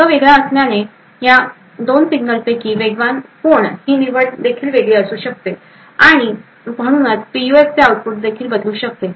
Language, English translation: Marathi, Since the path is different, the choice between which of these 2 signals is faster may also be different, and therefore the output of the PUF may also change